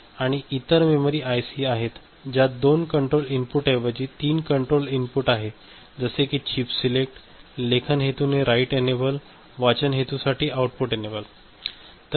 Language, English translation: Marathi, And there are other memory ICs in which the control inputs as I was discussing we have got instead of 2; 3 control inputs chip select, write enable for writing purpose, output enable this is for reading purpose